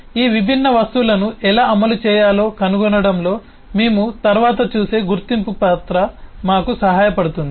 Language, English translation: Telugu, the identification rule we will see later on would help us in actually finding out how this different object should be implemented